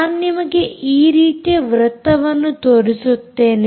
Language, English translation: Kannada, i will show you circles like this